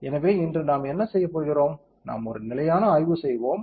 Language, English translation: Tamil, So, today what we are going to do is, we will do a perform stationary study